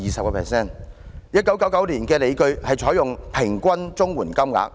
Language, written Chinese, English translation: Cantonese, 當局在1999年提出的理據，是採用"平均"綜援金額計算。, The justification advanced by the authorities in 1999 adopted the average CSSA payments for the calculation